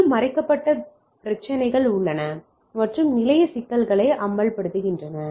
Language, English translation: Tamil, And, there are issues of hidden and expose station problems alright